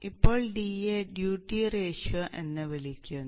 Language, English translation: Malayalam, Now D is called the duty ratio